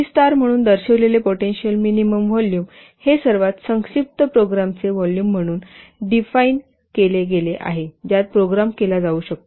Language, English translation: Marathi, The potential minimum volume which is denoted as V star, it is defined as the volume of the most succinct program in which a program can be coded